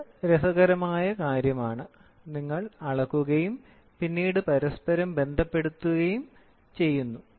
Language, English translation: Malayalam, So, here it is interesting, you measure and then you correlate, ok